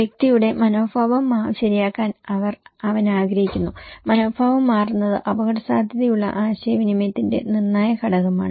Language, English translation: Malayalam, He wants to change the attitude of the person okay, is changing attitude is one of the critical component of risk communications